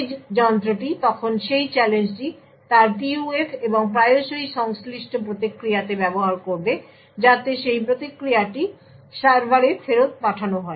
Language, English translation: Bengali, The edge device would then use this challenge in its PUF and often the corresponding response, so that response is sent back to the server